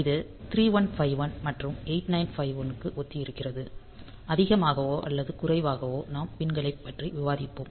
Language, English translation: Tamil, So, it is similar for 3151 and 8951 also; so, more or less we have discuss the pins